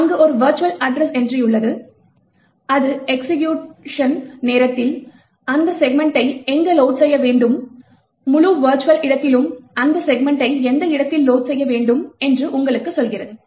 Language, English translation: Tamil, There is a virtual address entry which tells you where that segment has to be loaded in the process during the execution time, at what location should that segment be loaded in the entire virtual space